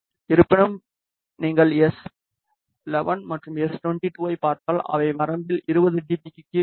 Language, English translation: Tamil, However, if you see s 11 and s 22 they are well below 20 dB throughout the range